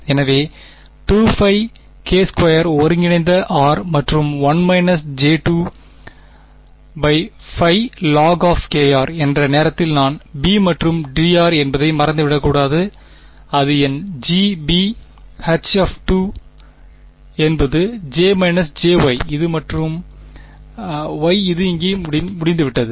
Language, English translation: Tamil, So, 2 pi k squared integral r and 1 minus j 2 by pi log of k r, this time I should not forget the b and d r yeah that is my G, b times Hankel 2 Hankel 2 is j minus j y and j is this and y is this over here